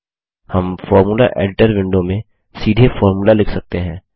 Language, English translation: Hindi, We can directly write the formula in the Formula Editor window